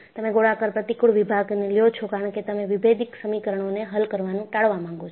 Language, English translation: Gujarati, You take a circular cross section because you want to avoid solving differential equations